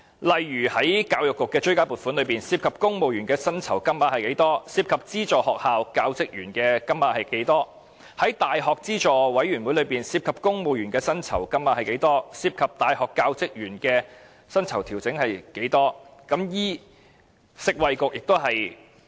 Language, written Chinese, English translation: Cantonese, 例如，在文件中列明教育局的追加撥款之中，涉及公務員薪酬調整的金額、涉及資助學校教職員薪酬調整的金額等；在教資會的追加撥款中，涉及公務員薪酬調整的金額、涉及大學教職員薪酬調整的金額等。, For example the document should list out of the supplementary appropriation for the Education Bureau the amount for the civil service pay adjustment and that for the pay adjustment of staff of aided schools etc; and out of the supplementary appropriation for UGC the amount for the civil service pay adjustment and that for the pay adjustment of university staff etc